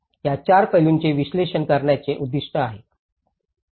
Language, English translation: Marathi, It aims to analyze these 4 aspects